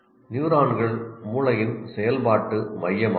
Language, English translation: Tamil, Neurons are functioning core of the brain